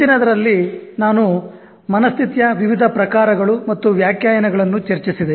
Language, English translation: Kannada, In the last one, I discussed various types and definitions of mindset